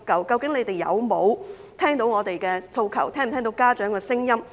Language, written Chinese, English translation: Cantonese, 究竟當局有否聽到我們的訴求，有否聽到家長的聲音呢？, Have the authorities heard our demands and the voices of parents?